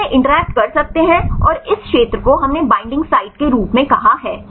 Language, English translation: Hindi, So, you this can interact and this region right we called as binding sites right